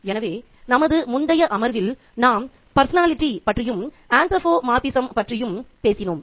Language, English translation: Tamil, So, in the previous session we talked about personification and anthropomorphism and today we are going to talk about foreshadowing